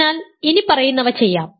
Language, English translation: Malayalam, So, let us do the following